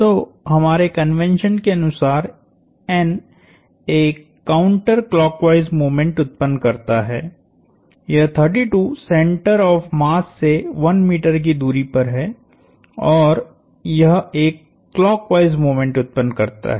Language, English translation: Hindi, So, in keeping with our convention N produces a counter clockwise moment, this 32 is a distance 1 meter above the center of mass and that produces a clockwise moment